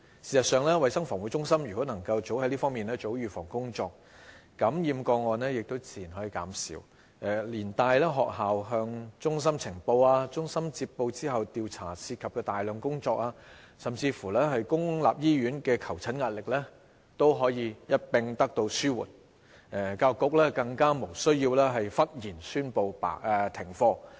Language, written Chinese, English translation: Cantonese, 事實上，衞生防護中心若及早在這方面做好預防工作，感染個案自然可以減少，連帶學校向衞生防護中心呈報個案、衞生防護中心接報後進行調查涉及的大量工作，甚至公立醫院的求診壓力也可一併得到紓緩，教育局更無須忽然宣布停課。, In fact if the Centre for Health Protection CHP can do proper preventive work earlier the number of influenza cases can be reduced and the pressure on schools to report influenza cases to CHP can be alleviated; and in turn CHP can save a lot of work on investigation and the pressure on public hospital for medical consultation services can also be alleviated and the Education Bureau does not need to abruptly announce school closure